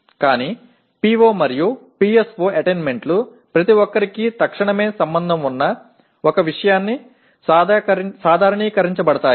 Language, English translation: Telugu, But PO and PSO attainments are normalized to 1 something that everyone can relate readily